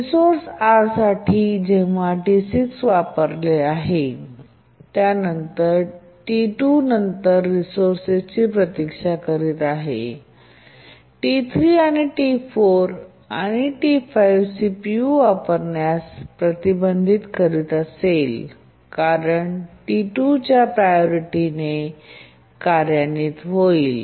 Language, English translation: Marathi, When T6 is using the resource R3 and T2 is waiting for the resource, T3, T3, T4, T5 will be prevented from using the CPU because T6 is executing with a high priority, that is the priority of T2